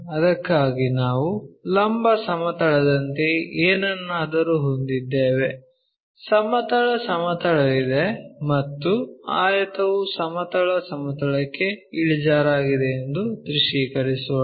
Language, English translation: Kannada, So, for that let us visualize that we have something like a vertical plane, there is a horizontal plane and our rectangle is inclined to horizontal plane